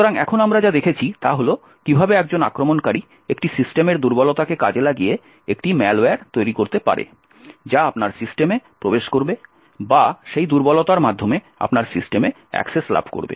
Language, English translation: Bengali, So now what we have seen is that a vulnerability in a system can be utilised by an attacker to create malware which would enter into your system or gain access into your system through that particular vulnerability